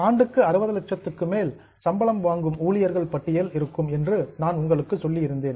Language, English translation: Tamil, I had told you that there will be a list of employees who are earning more than 60 lakhs per year